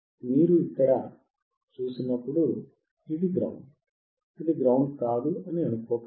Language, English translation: Telugu, Now when you see here this is grounded, do not think that is not grounded